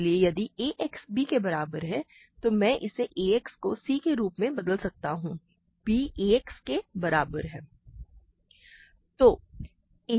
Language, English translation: Hindi, So, if ax equal to b, I can replace this as ax c, b is equal to ax